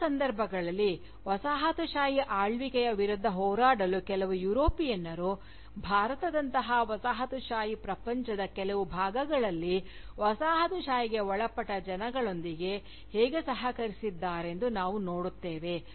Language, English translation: Kannada, In other cases, we see, how some Europeans, have collaborated with the Colonised subjects, in parts of the Colonised world like India, to fight the Colonial rule